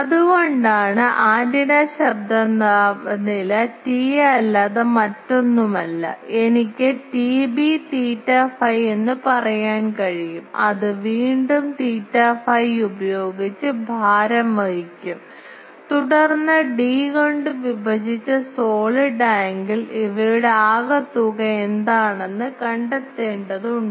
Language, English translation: Malayalam, So, that is why the antenna noise temperature T A is nothing but the I can say T B theta phi that will be weighted by again theta phi and then d the solid angle divided by I will have to find out what is the total of these that is the average because these T A is an average